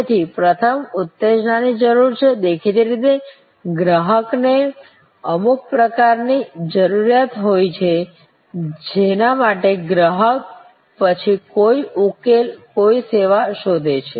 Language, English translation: Gujarati, So the first is need arousal; obviously, the customer has some kind of need for which the customer then seeks some solution, some service